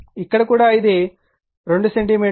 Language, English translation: Telugu, And here also this is the 2 centimeter